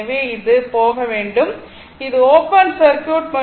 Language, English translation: Tamil, So, this should be gone this is open circuit